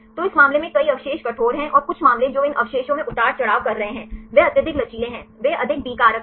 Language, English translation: Hindi, So, in this case several residues are rigid and some cases they are fluctuating these residues are highly flexible right they have a more B factors